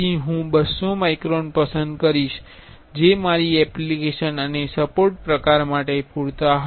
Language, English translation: Gujarati, So, I will select 200 microns that will be enough for my application and support type